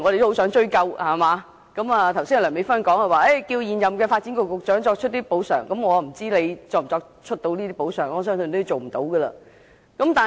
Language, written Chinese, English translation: Cantonese, 梁美芬議員剛才要求現任發展局局長作出補償，我不知道他能否做到，相信他應該做不到。, Dr Priscilla LEUNG requested the incumbent Secretary for Development to offer compensation just now . I do not know if he can do so . I believe he should fail to do so